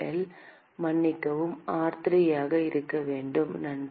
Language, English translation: Tamil, r2L, sorry should be r3, thanks